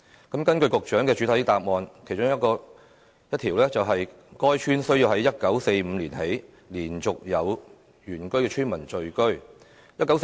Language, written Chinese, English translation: Cantonese, 局長在主體答覆提及的其中一個基本條件是，必須"自1945年以來連續有原居村民在該鄉村聚居"。, As mentioned in the Secretarys main reply one of the basic condition was there must be signs of continuous habitation by indigenous villagers within the village since 1945